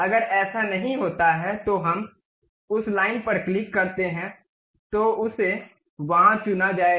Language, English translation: Hindi, If that is not the case we go click that line then it will be selected there